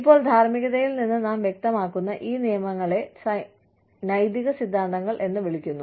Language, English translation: Malayalam, Now, these rules, that we elucidate from morals, are called ethical theories